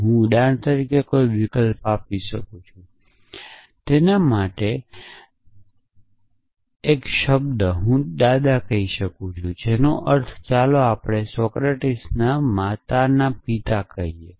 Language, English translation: Gujarati, I could substitute any for example, arbitrary term for it I could say the grandfather of which means let us say the father of mother of Socratic